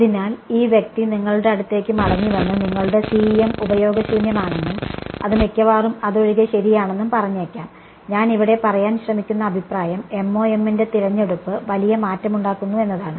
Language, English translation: Malayalam, So, this person may come back at you and say your CEM is useless right and will almost be correct except that, as I am the point I am trying to make here is that the choice of MoM makes a huge difference right